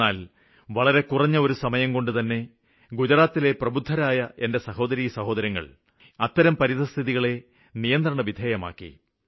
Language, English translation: Malayalam, But in a very short span of time, the intelligent brothers and sisters of mine in Gujarat brought the entire situation under control